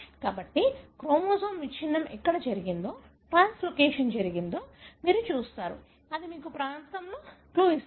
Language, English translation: Telugu, So, you look into where the chromosome breakage happened, translocation happened, that gives you a clue, which region